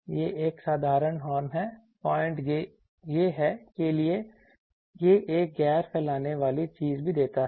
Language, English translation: Hindi, It is a simple horn for point is it is also gives a non dispersive thing